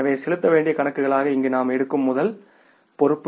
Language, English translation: Tamil, So first liability we take here as the accounts payable